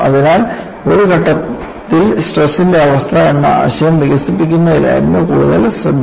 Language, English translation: Malayalam, So, the focus was more on developing the concept of state of stress at a point